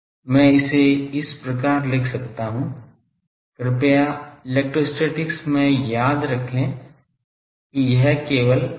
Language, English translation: Hindi, I can write this as please remember in electrostatics this is simply minus Del V